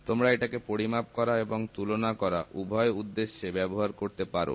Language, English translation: Bengali, You can use this for measurement as well as comparison